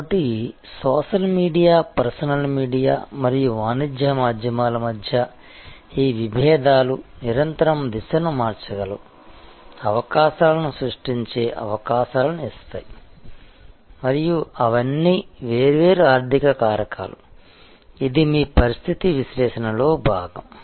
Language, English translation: Telugu, So, this dichotomy between or the tussle between social media, personal media and a commercial media may constantly changing direction giving possibilities creating possibilities and those are all the different economic factors, that is part of your situation analysis